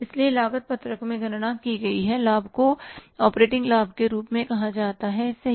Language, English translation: Hindi, So, in the cost sheet the profit calculated is called as the operating profit, right